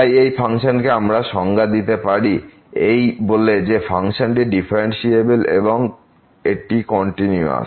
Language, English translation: Bengali, So, the function is well defined the function is differentiable, it is continuous and is equal to